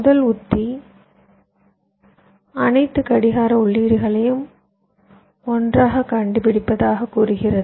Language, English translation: Tamil, the first strategy says: locate all clock inputs close together